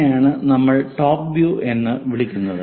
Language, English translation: Malayalam, This is what we call top view